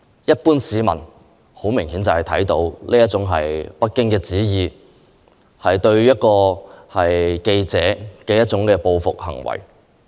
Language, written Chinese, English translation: Cantonese, 一般市民明顯感到這是北京的旨意，是對記者的報復行為。, The general public has a strong feeling that Beijing ordered the retaliatory action against the journalist